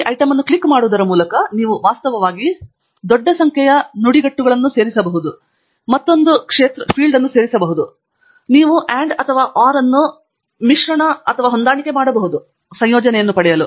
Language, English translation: Kannada, You can actually add large number of such phrases by clicking on this item Add Another Field, and you can mix and match OR, and to make a combination